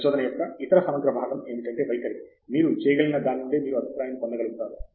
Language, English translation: Telugu, The other integral part of research, I would say attitude is to be able to take feedback from what you can